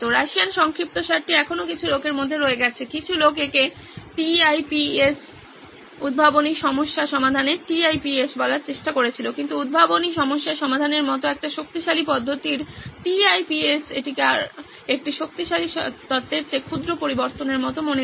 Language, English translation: Bengali, The Russian acronym still stays in between some people did try to call it tips as theory of inventive problem solving TIPS, but for a powerful method like for inventive problem solving, TIPS sound it more like pocket change than a powerful theory